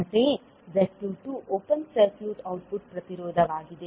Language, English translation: Kannada, Similarly, Z22 is open circuit output impedance